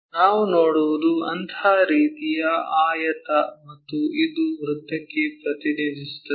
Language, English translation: Kannada, So, what we will see is such kind of rectangle and this one mapped to a circle